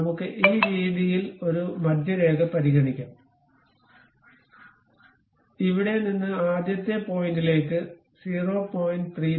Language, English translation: Malayalam, So, let us consider a center line in this way and use smart dimension from here to that first point it is 0